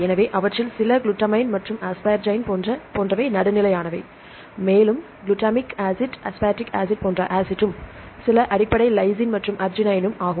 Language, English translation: Tamil, So, some of them are neutral like glutamine and the asparagine, and the acidic like glutamic acid aspartic acid and some are basic lysine and arginine